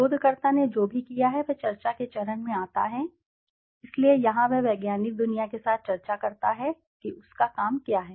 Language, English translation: Hindi, Whatever the researcher has done the finding comes in the discussion stage so here he discusses with the scientific world what is his work all about